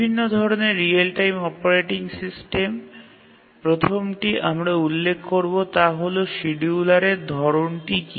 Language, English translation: Bengali, As we will look at different real time operating system, the first thing we will mention is that what is the type of the scheduler